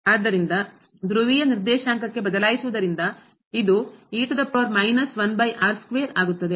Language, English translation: Kannada, And in this case if we change the coordinate to this polar coordinate what will happen now